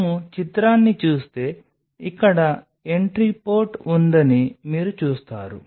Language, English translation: Telugu, So, you will see there is an entry port here